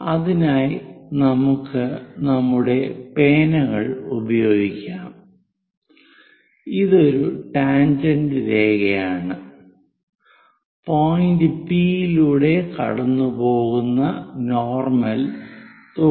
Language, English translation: Malayalam, So, let us use our pens, this is tangent line, and normal is 90 degrees to it passing through point P